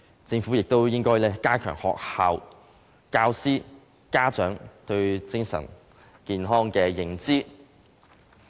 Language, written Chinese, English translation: Cantonese, 政府亦應加強學校、教師及家長對精神健康的認知。, The Government should also promote understanding of mental health in schools teachers and parents